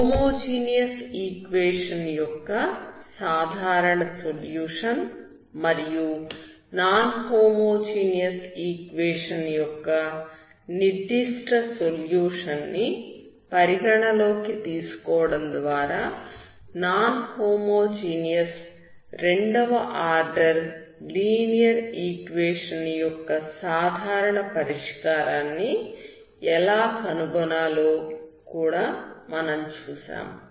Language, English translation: Telugu, We will also see how to find the general solution of non homogeneous second order linear equation by considering the general solution of the homogeneous equation and a particular solution of non homogeneous equation